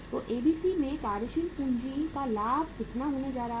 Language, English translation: Hindi, So the working capital leverage in ABC is going to be how much